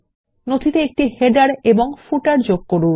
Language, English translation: Bengali, Add a header and footer in the document